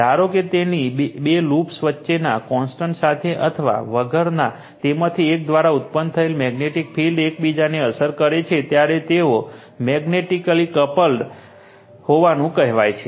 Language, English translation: Gujarati, Suppose, you have two loops with or without contact between them, but affect each other through the magnetic field generated by one of them, they are said to be magnetically coupled